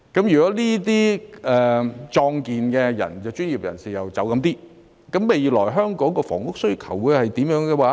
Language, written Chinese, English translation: Cantonese, 如果部分壯健專業人士離開，香港未來的房屋需求是怎樣呢？, If some professionals in their prime of life are to leave what will be the future demand for housing in Hong Kong?